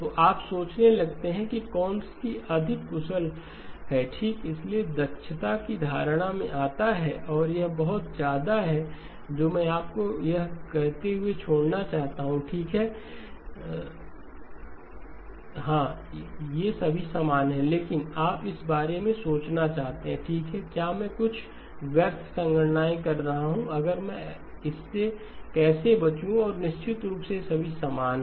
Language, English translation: Hindi, So you start to think in terms of which is more efficient okay, so the notion of efficiency comes in and that is the pretty much what I wanted to leave you with saying that okay yes these are all equivalent, but you may want to think about okay, am I doing some wasteful computations if so how do I avoid it and of course all of these are equal